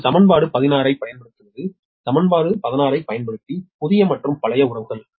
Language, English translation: Tamil, now, using equation sixteen, this is the same that new and old relationship, using equation sixteen, right